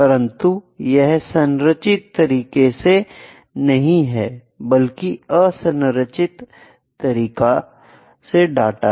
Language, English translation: Hindi, But it is not in a structured way, it is unstructured data